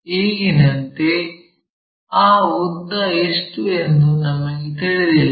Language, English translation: Kannada, As of now we do not know what is that length